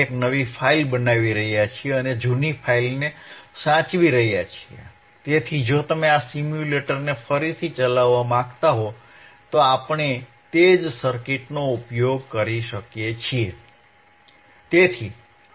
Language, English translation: Gujarati, Aand we are saving the old files, so that if you want to run these simulators, again, we can use the same circuit